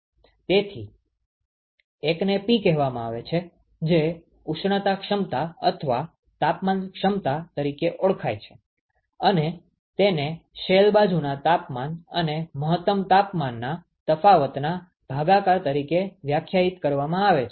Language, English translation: Gujarati, So one is called the P which is a thing called the thermal efficiency or the temperature efficiency, defined as the and that is given by the difference in the shell side temperatures divided by the maximum temperature difference ok